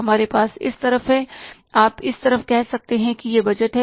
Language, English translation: Hindi, We have on this side, you can say this on this side it is budgets